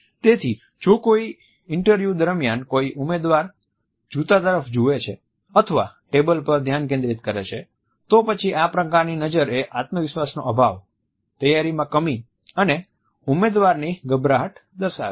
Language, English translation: Gujarati, So, if a candidate during an interview looks down at the shoes or focus is on the table, then these type of gaze directions convey a lack of confidence less prepared candidate as well as a nervousness on his or her part